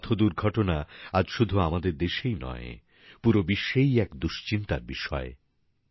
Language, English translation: Bengali, Road accidents are a matter of concern not just in our country but also the world over